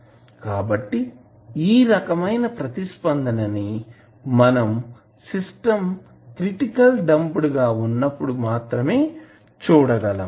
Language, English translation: Telugu, So, this kind of response you will see when the system is critically damped